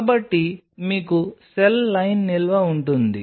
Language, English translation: Telugu, So, you will have cell line storage